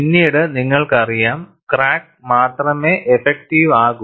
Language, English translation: Malayalam, Afterwards, you know, only the crack becomes effective